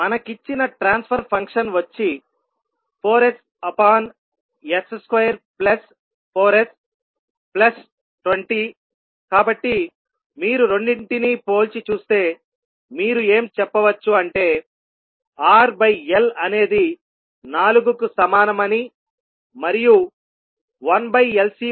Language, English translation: Telugu, The transfer function which is given to us is 4s upon s square plus 4s plus 20, so if you compare both of them you can simply say that R by L is nothing but equal to 4 and 1 by LC is equal to 20